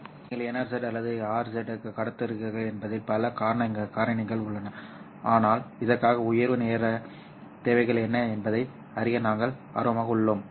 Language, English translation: Tamil, So there are a lot of factors which are involved whether you are transmitting NRZ or RZ, but for this we are interested in knowing what is the rise time requirements